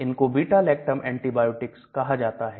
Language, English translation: Hindi, They are called beta lactam antibiotics